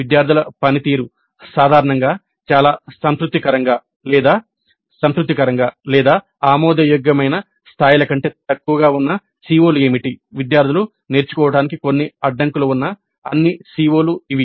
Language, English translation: Telugu, What are the COs with regard to which the student performance is in general very satisfactory or satisfactory or below acceptable levels which are all the COs where the students have certain bottlenecks towards learning